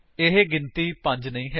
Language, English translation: Punjabi, It is not the number 5